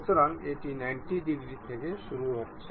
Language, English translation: Bengali, So, it is starting at 90 degree